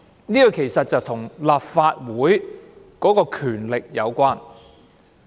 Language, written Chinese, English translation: Cantonese, 這其實與立法會的權力有關。, In fact the reason is related to the powers of the Legislative Council